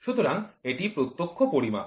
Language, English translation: Bengali, So, that is direct measurement